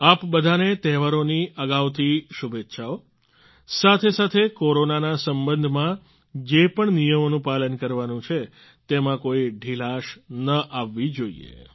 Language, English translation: Gujarati, Best wishes in advance to all of you for the festivals; there should not be any laxity in the rules regarding Corona as well